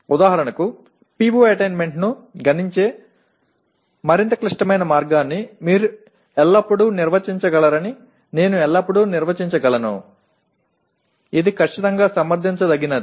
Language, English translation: Telugu, For example I can always define you can always define more complex way of computing the PO attainment which is certainly can be justified